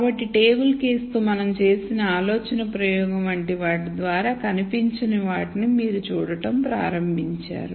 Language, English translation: Telugu, So, you have started seeing the invisible much like the thought experiment we did with the table case